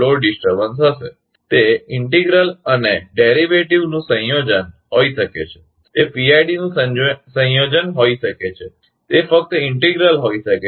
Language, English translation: Gujarati, It may be combination of integral and derivative, it may be combination of PID, it may be only integral